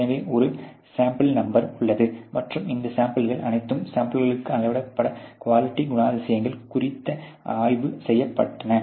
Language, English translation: Tamil, So, there is a sample number and these samples have all been inspected on a quality characteristics has been measured within the samples